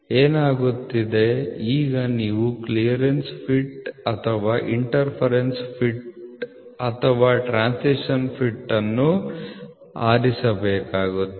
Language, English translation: Kannada, So, what happens is now when you have to choose a clearance fit or an interference fit or a transition fit